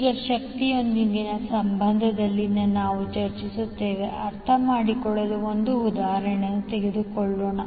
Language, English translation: Kannada, Now, let us take one example to understand what we have discussed in relationship with the power